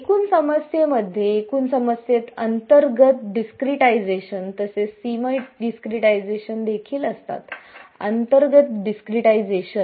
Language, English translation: Marathi, In the total problem, the total problem has a interior discretization as well as boundary discretization; interior discretization